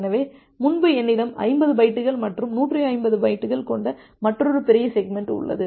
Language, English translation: Tamil, So, earlier I have a small segment of 50 bytes and another large segment of 150 bytes